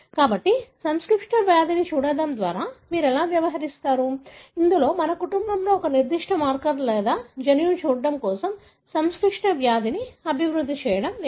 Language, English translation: Telugu, So, how do you go about doing, looking at complex disease, because we are not looking at one particular marker or a gene in a family and developing complex disease